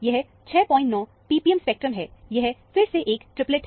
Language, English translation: Hindi, 9 p p m spectrum, this is a triplet, again